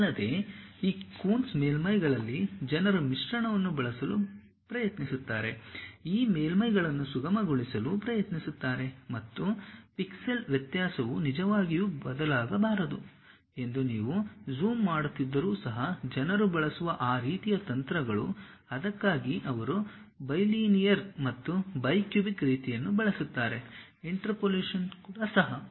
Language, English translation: Kannada, And further on these Coons surfaces, people try to use a blending, try to smoothen these surfaces and even if you are zooming that pixel variation should not really vary, that kind of techniques what people use, for that they use bilinear and bi cubic kind of interpolations also